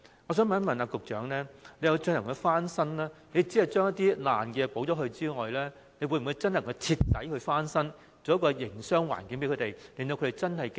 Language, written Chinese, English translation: Cantonese, 我想問局長，他所指的翻新工程，除了將破爛地方修葺外，會否徹底改善營商環境，使攤檔能夠妥善經營？, I would like to ask the Secretary When he mentioned the refurbishment works apart from repairing the dilapidated areas will the business environment be improved completely to facilitate the effective operation of the stalls?